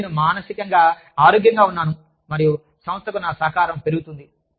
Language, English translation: Telugu, And, I am emotionally healthy, and my contribution, to the organization, tends to go up